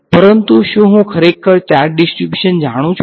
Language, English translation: Gujarati, But do I actually know the charge distribution